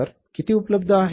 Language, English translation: Marathi, How much cash is available